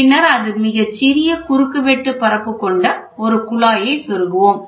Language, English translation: Tamil, And then we insert a tube with a with almost a very small cross section area